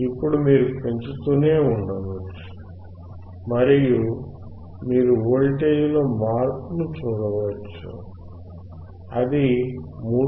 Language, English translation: Telugu, Now you can keep on increasing and then you can see the change in the voltage, you can see that is 3